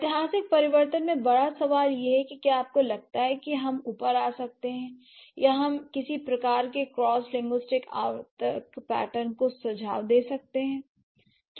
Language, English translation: Hindi, And the bigger question is historical change do you think we can come up or we can suggest some sort of cross linguistic recurrent pattern available